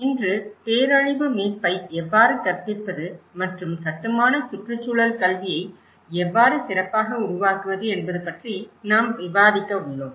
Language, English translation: Tamil, Today, we are going to discuss about how to teach disaster recovery and build back better in built environment education